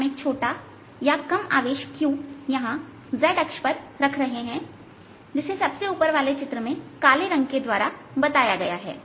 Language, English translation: Hindi, so what we are doing is we are putting a charge, small q, here on the z axis shown by black on the top figure